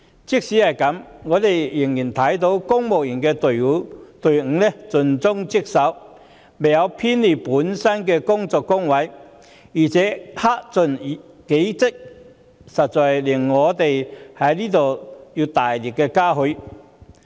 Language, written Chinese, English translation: Cantonese, 儘管如此，我們仍然看到公務員隊伍盡忠職守，未有偏離本身的工作崗位，並克盡己職，實在值得我們大力嘉許。, That said we still find our civil servants serving Hong Kong conscientiously and dutifully with dedication who never run away from their responsibilities